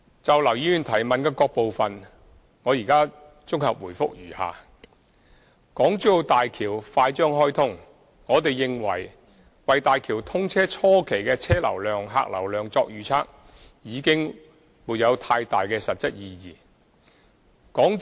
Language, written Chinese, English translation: Cantonese, 就劉議員的質詢各個部分，現綜合答覆如下：一大橋快將開通，我們認為，為大橋通車初期的車、客流量作預測已沒有太大的實質意義。, My consolidated reply to the various parts of Mr LAUs question is as follows 1 Given that HZMB is about to be commissioned we think that there is not much material meaning in making projections on traffic and passenger flow for the initial stage of commissioning